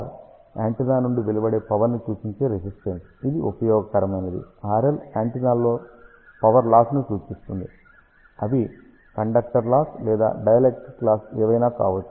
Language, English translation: Telugu, R r is the useful resistance which represents radiated power from the antenna; R L represents losses in the antenna this can be conductor losses or dielectric losses